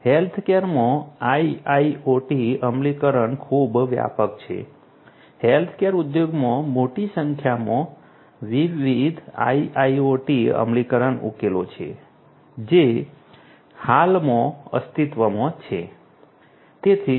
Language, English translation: Gujarati, IIoT implementation in healthcare is quite perceptive; there are large number of different IIoT implementation solutions in the healthcare industry that exist at present